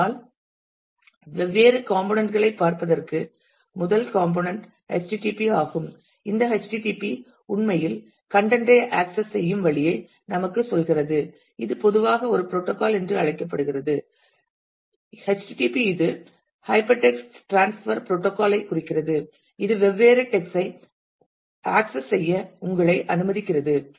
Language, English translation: Tamil, But just to look into the different components the first component http : this http is actually a tells us the way the content would be accessed and this is typically called a protocol http its stands for hyper text transfer protocol which allows you different text to be accessed